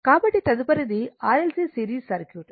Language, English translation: Telugu, So, next is that series R L C circuit